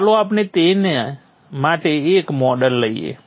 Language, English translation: Gujarati, Let us have a model for that